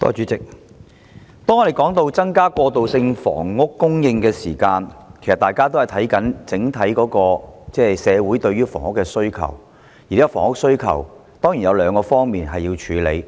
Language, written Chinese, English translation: Cantonese, 主席，當我們說到增加過渡性房屋供應時，其實大家也是要檢視整體社會對房屋的需求，而目前房屋需求上當然有兩方面需要處理。, President when we talk about increasing transitional housing supply we actually have to examine the overall demand for housing in the community . Of course there are two aspects to the present housing demand that need to be dealt with